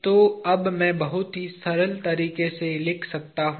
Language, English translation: Hindi, So, I can now write in a very simple way